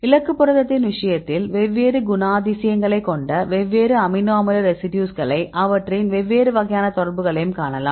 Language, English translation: Tamil, Because the case of the target protein, you can see different amino acid residues they are having different characteristics